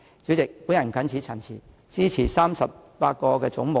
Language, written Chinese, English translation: Cantonese, 主席，我謹此陳辭，支持把38個總目納入附表。, With these remarks I support the sums for the 38 heads standing part of the Schedule